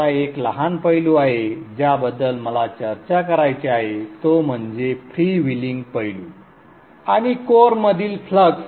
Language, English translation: Marathi, Now there is one small aspect which I want to discuss that is the freewheeling aspect and the flux within the core